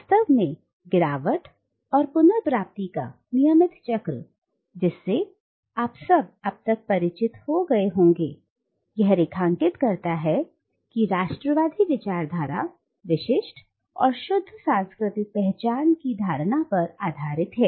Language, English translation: Hindi, Indeed the cyclical pattern of fall and recovery, which should be very familiar to you by now, which underlines the nationalist discourse is pivoted on the notion of distinctive and pure cultural identities